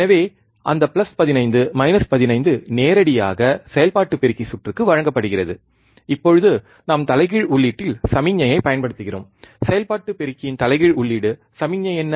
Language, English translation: Tamil, So, that plus 15 minus 15 is directly given to the operational amplifier circuit, and now we are applying the signal at the inverting input, inverting input of the operational amplifier, what was a single